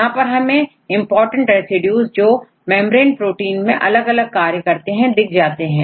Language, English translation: Hindi, So, here it will tell you these important residues which are performing different functions in membrane proteins